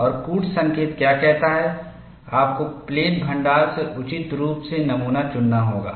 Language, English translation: Hindi, And what the codes say is you have to select the specimen, appropriately from the plate stock